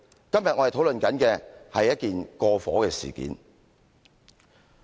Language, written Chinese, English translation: Cantonese, 今天我們討論的是一件過火事件。, The subject today is about an issue which have been overdone